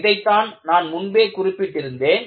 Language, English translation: Tamil, This is what I had mentioned earlier